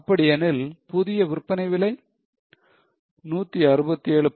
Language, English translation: Tamil, That means new selling price is 167